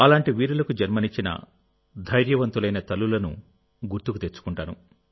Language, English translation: Telugu, And especially, I remember the brave mothers who give birth to such bravehearts